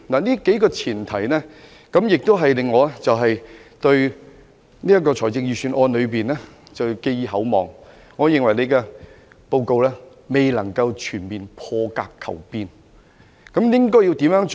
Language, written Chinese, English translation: Cantonese, "這數項前提令我對這份預算案寄予厚望，但我認為司長的做法未能達致全面破格求變。, While these few premises have encouraged me to set high expectations for this Budget I do not think the Financial Secretarys approach can seek out - of - the - box changes on all fronts